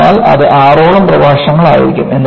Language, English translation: Malayalam, So, that will be for about six lectures